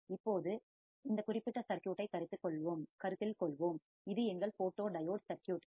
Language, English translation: Tamil, Now, let us consider this particular circuit, which is our photodiode circuit